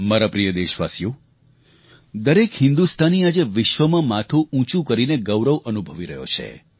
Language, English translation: Gujarati, My dear countrymen, every Indian today, is proud and holds his head high